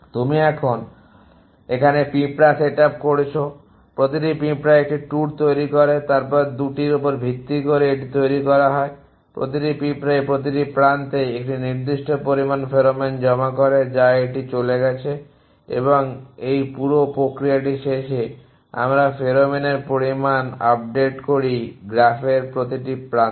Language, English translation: Bengali, You have the set up ants each ant construct a tour then base on the 2 it is constructed each ant deposits a certain amount of pheromone on every edge that it has moved on and that the end of this whole process, we update the amount of pheromone on every edge in the graph